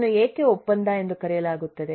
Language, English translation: Kannada, why is it called contractual